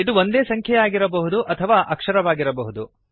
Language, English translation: Kannada, This can be either a letter or number